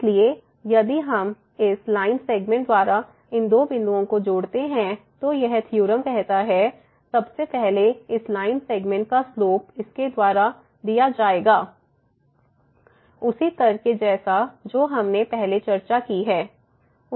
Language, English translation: Hindi, So, they will if we join these two points by this line segment, then this theorem says; so, first of all this the slope of this line segment will be given by this minus over minus because of the same argument as we have discussed earlier